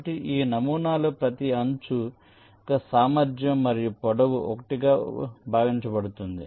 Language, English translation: Telugu, so in this model the capacity and the length of each edge is assume to be one